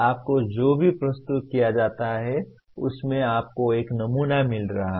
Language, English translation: Hindi, In whatever you are presented you are finding a pattern